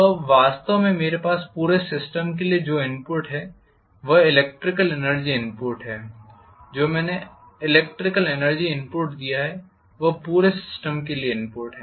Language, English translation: Hindi, Now what actually I have input to the entire system is the electrical energy input what I have given as electrical energy input is the input to the entire system